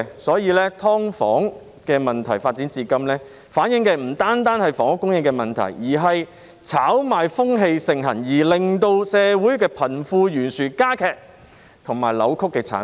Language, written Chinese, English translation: Cantonese, 所以，"劏房"問題發展至今，不但反映出房屋供應出現問題，更反映出社會炒賣風氣盛行，是一個令社會貧富懸殊加劇及扭曲的產物。, Therefore the outstanding problem of subdivided units reflects not only the housing supply problem but also the prevalence of speculative activities in society . It is a product which has widened and distorted the wealth gap